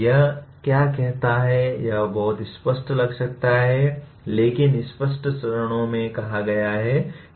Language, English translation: Hindi, What it says, it may look pretty obvious but stated in a, in clear steps